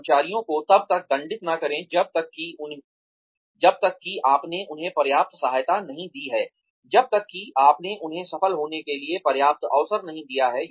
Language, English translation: Hindi, Do not punish employees, till you have given them enough support, till you have given them enough chances, to succeed